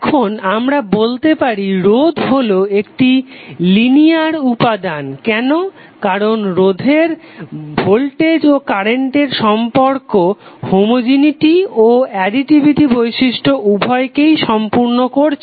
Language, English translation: Bengali, Now we say that a resistor is a linear element why because the voltage and current relationship of the resistor satisfy both the homogeneity and additivity properties